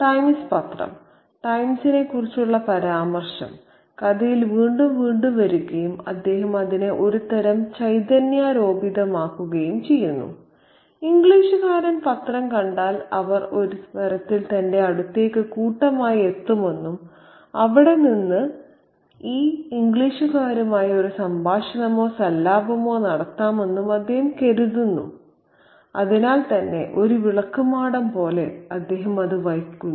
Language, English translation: Malayalam, So, the Times newspaper, the reference to the Times comes up time and again in this story and he kind of fetishizes in this newspaper, he carries it like a beacon, so to speak, because he thinks that if the English men see the newspaper, they would kind of flock to him in some sense metaphorically, and then from there he could have a conversation or a dialogue with all these English folks